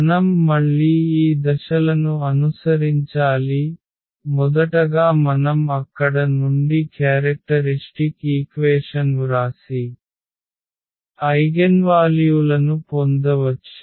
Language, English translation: Telugu, So, we have to again follow these steps that first we have to write down the characteristic equation from there we can get the eigenvalues